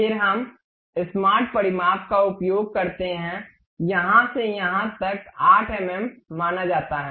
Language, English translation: Hindi, Then we use smart dimension, from here to here it supposed to be 8 mm